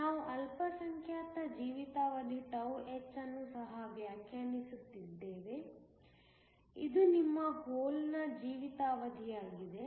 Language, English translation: Kannada, We also defined a minority lifetime τh, this is your hole lifetime